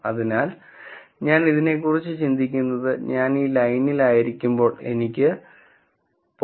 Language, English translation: Malayalam, So, the way I am going to think about this is, when I am on this line I should have the probability being equal to 0